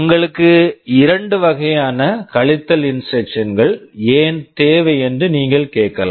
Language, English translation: Tamil, You may ask why you need two kinds of subtract instruction